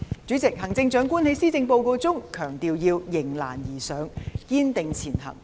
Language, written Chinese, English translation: Cantonese, 主席，行政長官在施政報告中強調要迎難而上，堅定前行。, President the Chief Executive has laid particular stress on rising to challenges and striving ahead in her Policy Address